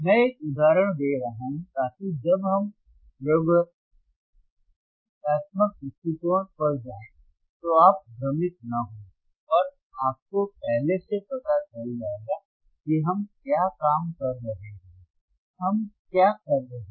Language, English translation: Hindi, So so, that when we go to the experimental point of view, you will not get confused and you will already know that what we are working on